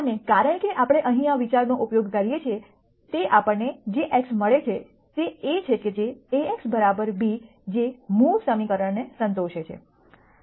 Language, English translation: Gujarati, And since we use this idea here the x that we get is such that A x equal to b that is satisfies the original equation